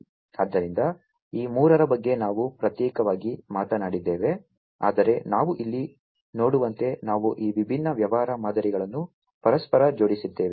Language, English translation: Kannada, So, so all these three we have individually talked about, but as we can see over here we have these inter linking these different business models